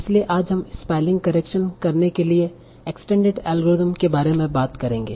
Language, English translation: Hindi, So today we will now talk about very standard algorithm for doing spelling correction